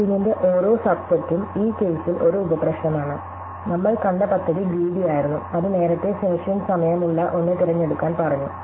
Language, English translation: Malayalam, So, each subset of the bookings is a sub problem in this case and the strategy that we saw was a greedy one, which said to pick the one which has the earliest finishing time